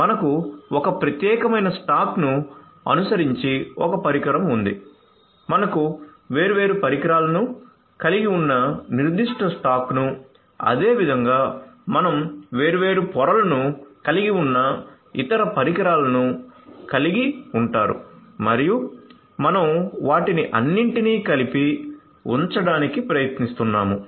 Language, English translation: Telugu, So, you have one device following a particular stack you have one device following a particular stack comprising of different layers likewise you have different other devices having different different layers and so on and you are trying to put them all together